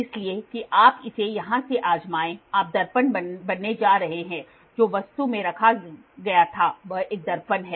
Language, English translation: Hindi, So, that you try it on from here you go to be mirror whatever was placed in the object this is a mirror